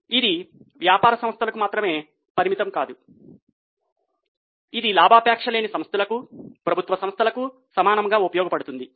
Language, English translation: Telugu, It is not only restricted to business entities, it is equally useful for non profit organizations, for government organizations